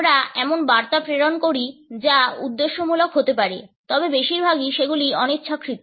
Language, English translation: Bengali, We pass on messages which may be intended, but mostly they are unintended